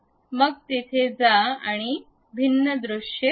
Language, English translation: Marathi, Then go there look at these different views